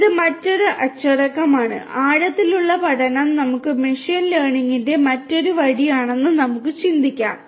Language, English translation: Malayalam, It is another discipline of, we can think of that deep learning is another way of machine learning we can think that way